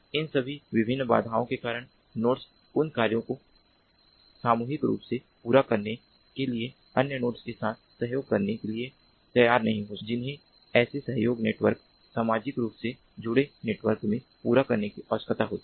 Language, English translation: Hindi, consequently, because of all these different constraints, the nodes may not be willing to cooperate with the other nodes for collectively accomplishing the tasks that are supposed to be required to be accomplished in such a social network, socially connected network